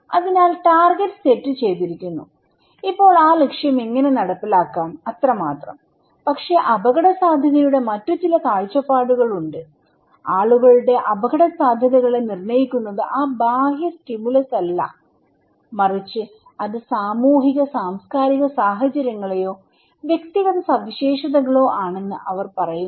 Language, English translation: Malayalam, So, target is set and now how to implement that target and thatís it but there are some other perspective of risk, they are saying that it is not that external stimulus that determines people's risk perceptions but it is the socio cultural context or individual characteristics that define the way people perceive risk